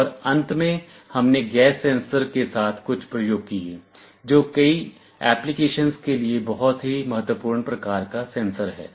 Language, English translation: Hindi, And lastly we had some experiments with gas sensors, which is also very important kind of a sensor for many applications